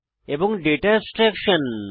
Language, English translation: Bengali, and Data abstraction